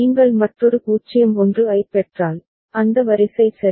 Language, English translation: Tamil, If you receive another 0 1, then the sequence is there ok